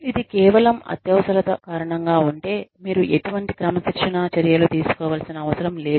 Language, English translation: Telugu, If it is, just because of an exigency, you may not need, to take any disciplinary action